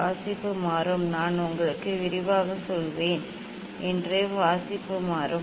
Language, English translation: Tamil, reading will change; reading will change that I will tell you in detail